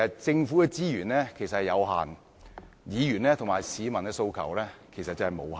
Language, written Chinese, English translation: Cantonese, 政府的資源有限，議員和市民的訴求則無限。, While government resources are limited demands of Members and the public are unlimited